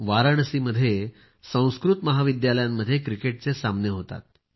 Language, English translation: Marathi, In Varanasi, a cricket tournament is held among Sanskrit colleges